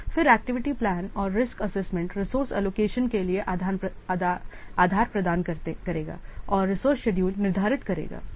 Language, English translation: Hindi, Then the activity plan and the risk assessment would provide the basis for the resource allocation and the resource schedule